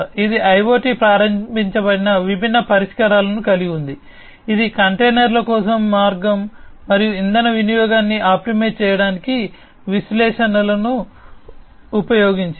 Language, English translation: Telugu, It has different solutions which are IoT enabled, which used analytics to optimize the route and fuel consumption for containers